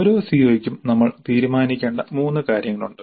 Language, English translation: Malayalam, For each CO there are three things that we must decide